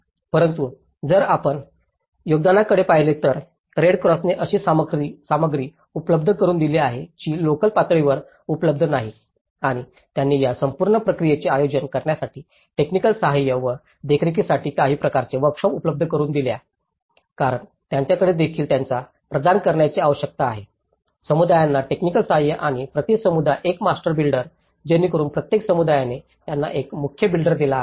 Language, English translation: Marathi, But then, if you look at the contributions, the Red Cross have provided the materials which are not available locally and they also provided some kind of workshops to organize this whole process and in a technical support and monitoring because they have even they need to provide the technical support to the communities and one master builder per community so for each community they have given one master builder